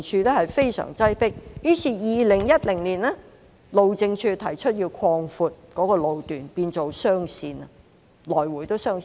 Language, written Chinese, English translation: Cantonese, 於是，路政署於2010年提出擴闊該路段，改為來回也是雙線。, As a result the Highways Department HyD proposed the widening of that road section from a single two - lane carriageway to a dual two - lane carriageway in 2010